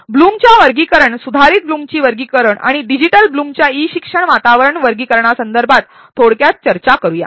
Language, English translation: Marathi, Let us briefly discuss about the blooms taxonomy revised blooms taxonomy and digital blooms taxonomy with respect to the e learning environment